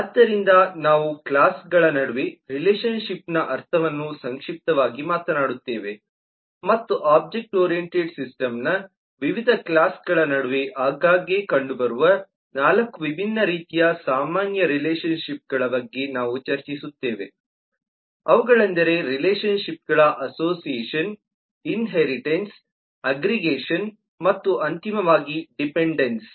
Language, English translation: Kannada, so we will briefly talk about what we mean by relationship among classes and we will discuss about 4 different kinds of common relationships that are frequently found amongst different classes of an object oriented system: the relationship of association, inheritance, aggregation and, finally, dependence